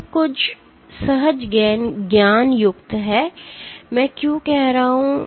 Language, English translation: Hindi, This is somewhat counterintuitive, why am I saying